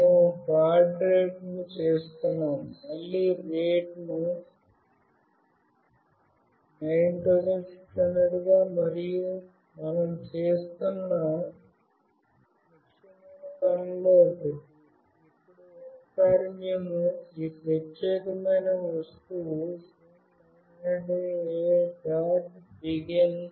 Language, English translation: Telugu, We are setting up the baud rate as 9600 again and one of the important thing that we are doing, now once we have made this particular object SIM900A